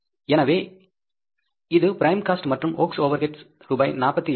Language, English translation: Tamil, So this is the prime cost and works overheads are the 48,000 rupees, right